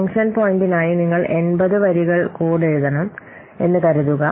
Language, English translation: Malayalam, That means per function point there can be 70 lines of code